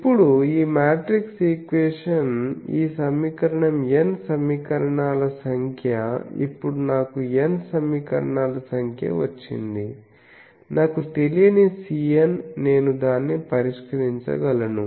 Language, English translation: Telugu, Now, this set of matrix equation this set of n equation now I have got n number of equations I have n unknown C n I can solve it